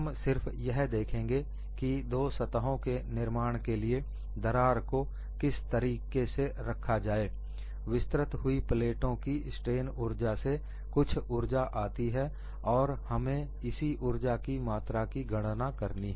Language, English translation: Hindi, We will just look at what way the crack is put and for the formation of these two surfaces some energy would have come out of the strain energy of the stretched plate, and we will have to calculate this quantum of energy